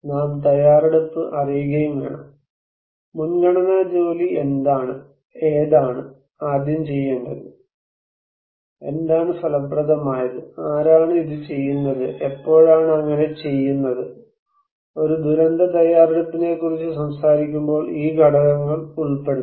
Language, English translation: Malayalam, And also we need to know the preparedness; what is the priority work, which one I should do first, what is effective, who will do it, and when would be done so, these components should be included when we are talking about a disaster preparedness